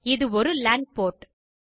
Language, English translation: Tamil, And this is a LAN port